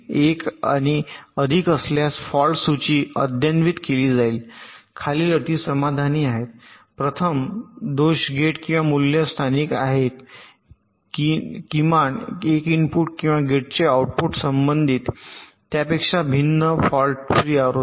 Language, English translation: Marathi, fault list will be updated if one and more of the following conditions are satisfied: firstly, of course, the fault is local to the gate or the value implied at at least one input or the output of the gate is different from that in the corresponding fault free version